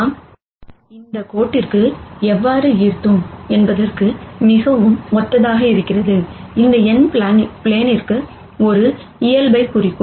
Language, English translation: Tamil, And very similar to how we drew the normal to the line here, this n would represent a normal to the plane